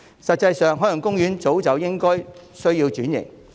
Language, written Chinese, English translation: Cantonese, 實際上，海洋公園一早便需要轉型。, As a matter of fact the transformation of the Ocean Park is long overdue